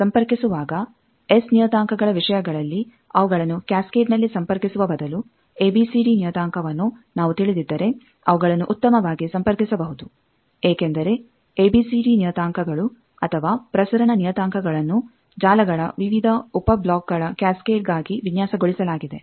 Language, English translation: Kannada, Now, while connecting instead of connecting them in cascade in terms of S parameter, if we know the ABCD parameter we can connect them better because ABCD parameters are transmission parameters are designed for cascading of various sub blocks of a network